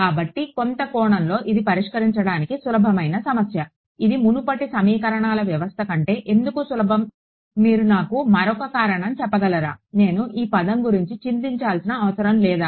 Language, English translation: Telugu, So, in some sense it is an easier problem to solve can you tell me one more reason why it is easier than the earlier system of equations; which term did I not have to worry about